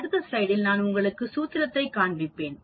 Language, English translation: Tamil, In the next slide, I will show you the formula